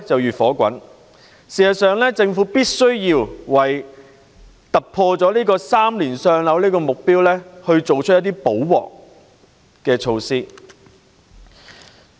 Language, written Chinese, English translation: Cantonese, 事實上，政府必須為突破3年的"上樓"目標，作出一些"補鑊"的措施。, In fact the Government must make some remedial measures to break through the target of moving into PRH in three years